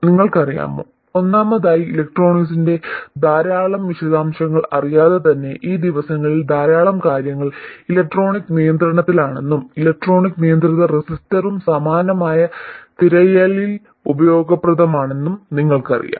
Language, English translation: Malayalam, You know first of all even without knowing a lot of details of electronics, you know that lots of things are electronically controlled these days and an electronically controlled register is also useful in a similar sense